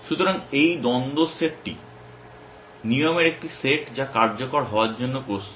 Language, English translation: Bengali, So, this conflicts set is a set of rules which is ready to execute